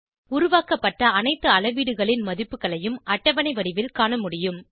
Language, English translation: Tamil, Values of all measurements made, can be viewed in a tabular form